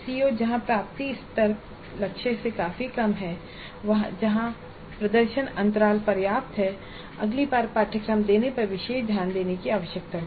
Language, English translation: Hindi, The COs where the attainment levels are substantially lower than the target, that means where the performance gaps are substantial would require special attention the next time the course is delivered